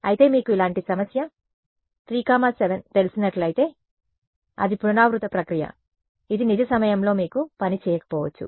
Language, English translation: Telugu, But if it is you know a problem like this one 3, 7 right then it is an iterative process it may it may not work in real time you